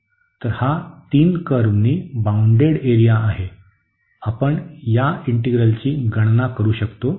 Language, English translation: Marathi, So, that is the area bounded by these 3 curves, we can compute this integral